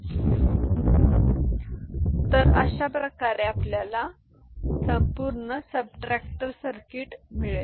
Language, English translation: Marathi, So, this is the way we can get the full subtractor circuit right fine